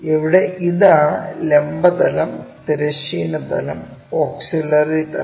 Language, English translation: Malayalam, Here, we have this is vertical plane, horizontal plane and our auxiliary plane is this